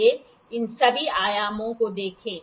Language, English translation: Hindi, Let us see all these dimensions